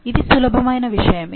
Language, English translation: Telugu, Now, that's the easy thing